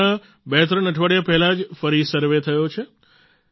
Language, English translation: Gujarati, Just twothree weeks ago, the survey was conducted again